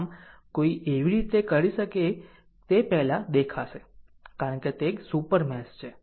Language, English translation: Gujarati, So, how one can do is look before because it is a super mesh